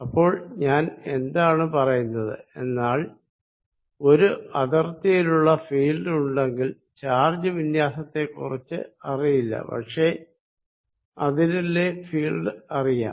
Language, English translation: Malayalam, So, what I will say is, field given at a boundary I do not know about the charge distribution but I do know field about a boundary